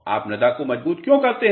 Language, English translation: Hindi, Why do you reinforce soils